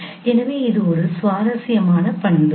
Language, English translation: Tamil, So this is one of the interesting property